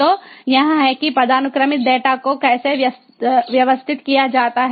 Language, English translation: Hindi, so so this is the how the hierarchical data is organized